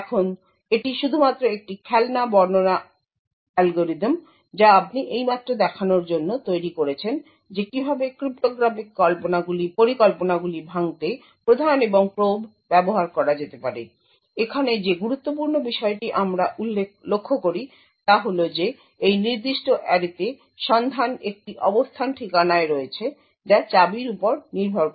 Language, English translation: Bengali, Now this is just a toy decryption algorithm, which you have just built up to show how prime and probe can be used to break cryptographic schemes, the important point for us to observe over here is that this lookup to this particular array is on a address location which is key dependent